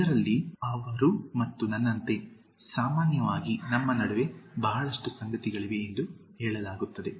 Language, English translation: Kannada, In this, commonly said like she and me we have lot of things in common between us